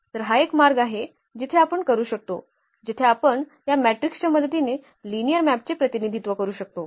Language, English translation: Marathi, So, this is one way where we can, where we can represent a linear map with the help of this matrices